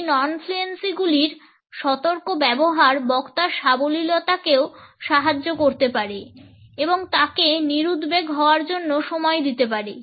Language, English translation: Bengali, A careful use of these non fluencies can also add to the fluency of the speaker and give a time to relax